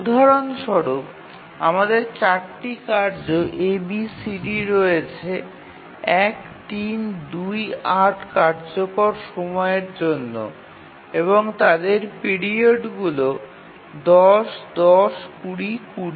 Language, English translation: Bengali, We have 4 task sets A, B, C, D with execution time of 1, 3, 2, 8 and their periods are 10, 10, 20, 20